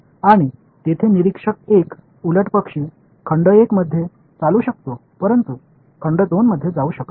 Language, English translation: Marathi, And observer 1 over here vice versa can walk in volume 1, but cannot crossover into volume 2